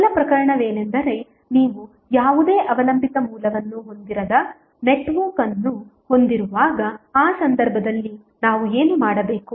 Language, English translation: Kannada, First case is that when you have the network which contains no any dependent source so in that case what we have to do